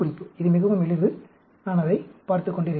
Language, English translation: Tamil, It is quite simple, and I have been looking at it, actually